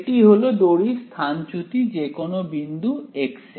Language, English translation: Bengali, Its the displacement of the string at any position x ok